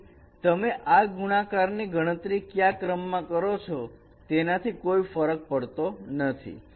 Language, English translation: Gujarati, So it doesn't matter in which order you compute this multiplications